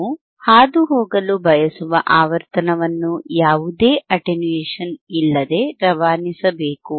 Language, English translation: Kannada, Thate frequency that we want to pass it should be passed without any attenuation, right